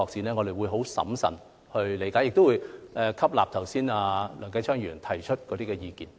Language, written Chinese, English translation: Cantonese, 我們將會審慎處理，亦會吸納梁繼昌議員剛才提出的意見。, We will handle these projects prudently and absorb the views just expressed by Mr Kenneth LEUNG